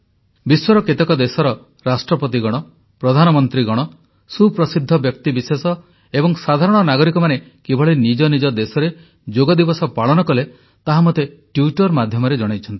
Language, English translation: Odia, The Presidents, Prime Ministers, celebrities and ordinary citizens of many countries of the world showed me on the Twitter how they celebrated Yoga in their respective nations